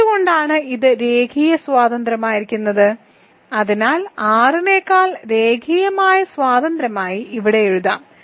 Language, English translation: Malayalam, Why is it linearly independent set linearly independent, So let me write it here linearly independent over R because what does it mean